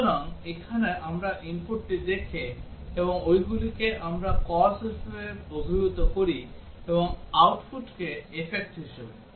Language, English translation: Bengali, So, here we look at the input and we call them as the causes, and the output as the effect